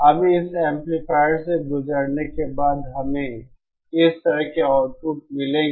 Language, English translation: Hindi, Now after passing through this amplifier, we will get outputs like this